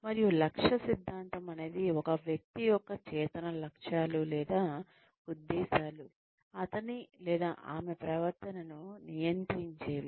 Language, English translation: Telugu, s conscious goals, or, it says that, an individual's conscious goals, or intentions, regulate his or her behavior